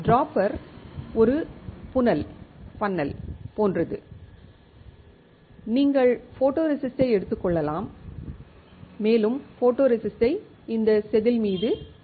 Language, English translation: Tamil, Dropper is like a fennel and you can take the photoresist and you can dispense the photoresist onto this wafer